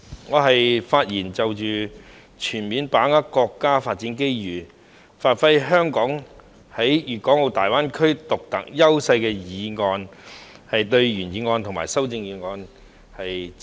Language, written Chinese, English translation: Cantonese, 代理主席，我是就"全面把握國家發展機遇，發揮香港在粵港澳大灣區的獨特優勢"議案發言，並對原議案和修正案表示支持。, Deputy President I am speaking on the motion Fully seizing the national development opportunities to give play to Hong Kongs unique advantages in the Guangdong - Hong Kong - Macao Greater Bay Area and I support the original motion and the amendment